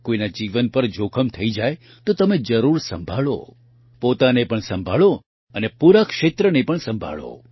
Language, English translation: Gujarati, If someone's life is in danger then you must take care; take care of yourself, and also take care of the entire area